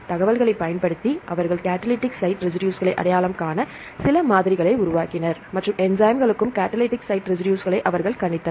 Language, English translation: Tamil, Using the information they developed some models to identify the catalytic site residues and they predicted the catalytic site residues for all the enzymes